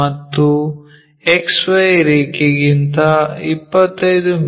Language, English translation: Kannada, And, in below XY line it is 25 mm here